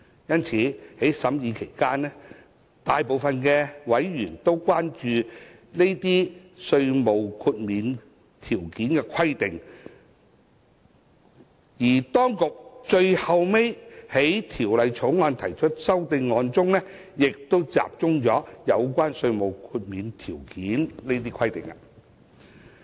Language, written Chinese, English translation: Cantonese, 因此，在審議《條例草案》期間，大部分委員均關注有關稅務豁免條件規定；而當局最後就《條例草案》提出的修正案，亦集中在有關稅務豁免條件的規定。, Hence during the scrutiny of the Bill a majority of members had expressed concern over the conditions and requirements for tax exemption; and the amendments to the Bill finally proposed by the authorities have also focused on the requirements and conditions for tax exemption